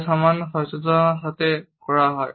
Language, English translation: Bengali, They occur with very little awareness